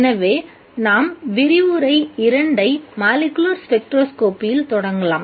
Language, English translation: Tamil, So let's start with lecture two on molecular spectroscopy